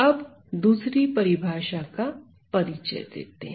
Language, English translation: Hindi, Now, let me introduce another definition